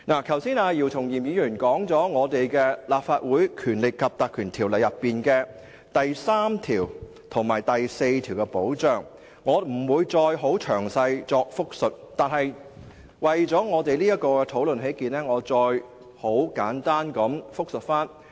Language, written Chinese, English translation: Cantonese, 剛才姚松炎議員談及《立法會條例》第3及4條的保障，我不再詳細複述，但為了這項討論起見，我再作簡單複述。, Just now Dr YIU Chung - yim already talked about the protection provided for under sections 3 and 4 of the Legislative Council Ordinance . I will not go into the details again but I will talk about them briefly for the sake of this discussion